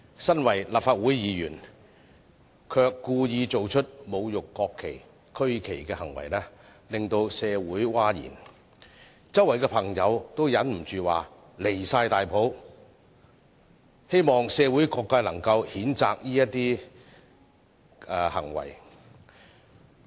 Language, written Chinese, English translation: Cantonese, 作為立法會議員，卻故意做出侮辱國旗、區旗的行為，令社會譁然，周圍的朋友都忍不住說十分離譜，希望社會各界能夠譴責這些行為。, That a Member of the Legislative Council did deliberate acts to desecrate the national flag and the regional flag has provoked a public outcry . People around me could not help stating that it was totally outrageous and they hope that all sectors of the community can condemn these acts